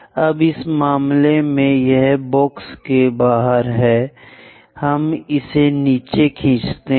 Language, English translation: Hindi, Now, in this case, it is outside of the box, let us pull it down